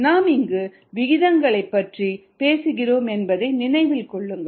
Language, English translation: Tamil, note that we are talking of rates